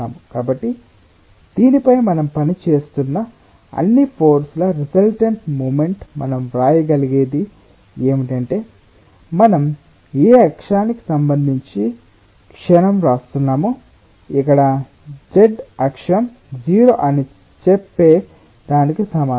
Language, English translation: Telugu, so what we can write: resultant moment of all forces which which are acting on this is what say we are writing the moment with respect to which axis, zee, axis here is equal to what tells that it is zero